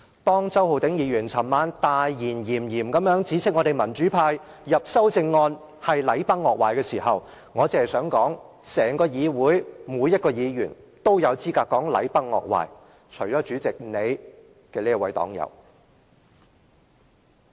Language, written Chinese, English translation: Cantonese, 當周浩鼎議員昨晚大言炎炎，指斥民主派提出修正案是禮崩樂壞時，我只想說，在整個議會內，每一位議員都有資格說禮崩樂壞，除了代理主席的這位黨友。, While Mr Holden CHOW most righteously criticized the proposal of amendments by the pro - democracy camp as a collapse of rites and decorum last night I only wish to say that every Member in the whole Legislative Council is qualified to talk about the collapse of rites and decorum except this party comrade of the Deputy Chairman . Back to the question